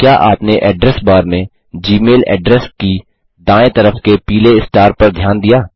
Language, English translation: Hindi, Did you notice the yellow star on the right of the gmail address in the Address bar